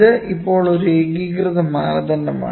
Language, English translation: Malayalam, So, this is now a unified standard